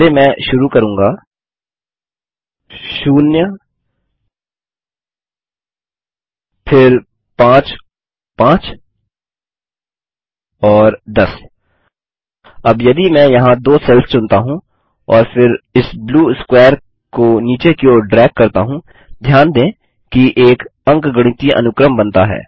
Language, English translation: Hindi, First I will start with 0, then 5, 5 and 10 Now if I select the two cells here and then drag this blue square all the way down, notice an arithmetic progression is created